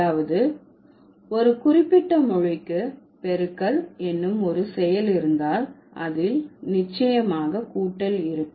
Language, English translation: Tamil, So, that means if a certain language has a function called multiplication, then it will surely have the existence of addition